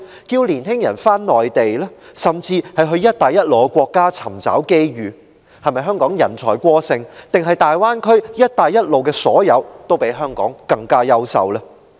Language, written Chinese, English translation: Cantonese, 着年青人到內地生活，甚至到"一帶一路"的沿線國家尋找機遇，香港是否人才過剩，還是大灣區、"一帶一路"的所有均比香港更優勝？, In asking young people to live on the Mainland and even to look for opportunities in countries along Belt and Road does it imply that there is an excess supply of talents in Hong Kong or that the Greater Bay Area and countries along the Belt and Road are better than Hong Kong in all respects?